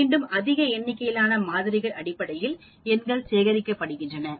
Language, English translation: Tamil, And again, the numbers are collected based on large number of samples